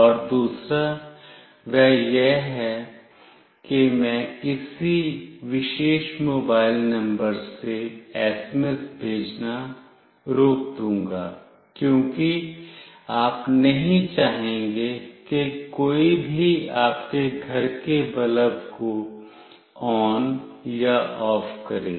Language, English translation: Hindi, And the other one is I will restrict sending SMS from some particular mobile number, because you will not want anyone to switch on of your home bulb